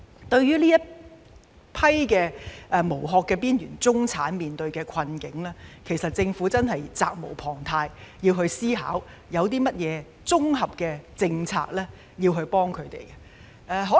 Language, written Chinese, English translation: Cantonese, 對於這群"無殼"的邊緣中產面對的困境，政府真的責無旁貸，必須思考有甚麼綜合政策可以幫助他們。, Regarding the plight faced by this group of shell - less marginal middle class the Government is really duty - bound and must consider introducing comprehensive policies to help them